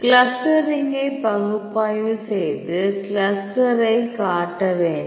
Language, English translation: Tamil, So, go to analyze clustering show the clusters